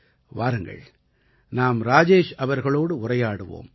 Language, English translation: Tamil, So let's talk to Rajesh ji